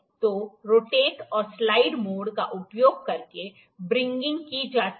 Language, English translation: Hindi, So, the wringing is done using rotate and slide mode